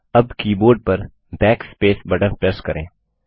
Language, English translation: Hindi, Now press the Backspace button on the keyboard